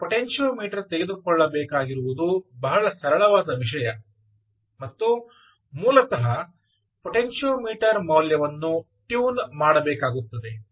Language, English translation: Kannada, you will have to take a potentiometer and basically tune, keep changing the value of the potentiometer